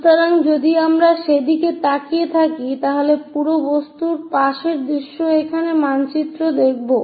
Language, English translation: Bengali, So, if we are looking at that, the side view of this entire object maps here